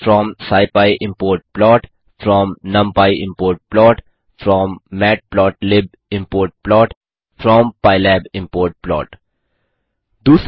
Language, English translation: Hindi, from scipy import plot from numpy import plot from matplotlib import plot from pylab import plot 2